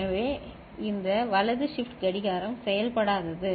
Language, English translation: Tamil, So, this right shift clock is nonfunctional ok